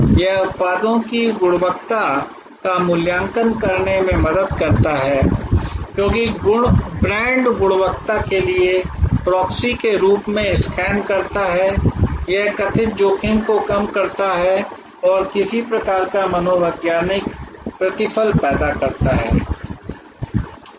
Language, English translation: Hindi, It helps to evaluate quality of products, because brand scans as a proxy for quality, it reduces perceived risk and create some kind of psychological reward